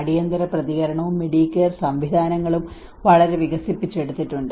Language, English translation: Malayalam, Have highly developed emergency response and Medicare systems